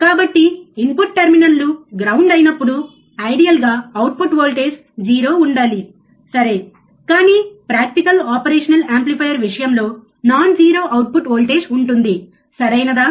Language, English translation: Telugu, So, when the input terminals are grounded, ideally the output voltage should be 0, right, but in case of practical operational amplifier a non 0 output voltage is present, right